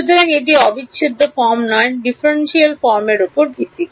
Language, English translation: Bengali, So, it is based on differential form, not integral form